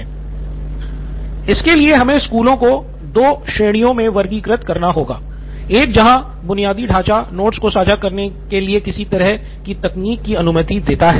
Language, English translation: Hindi, So then we would have to classify schools into two categories, one where the infrastructure allows some kind of technology for sharing of notes